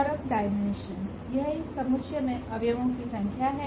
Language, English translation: Hindi, And the dimension now it is a number of these elements in this set